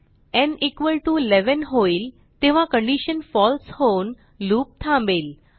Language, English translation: Marathi, When n = 11, the condition fails and the loop stops